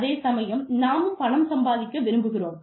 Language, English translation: Tamil, But, we also want to make money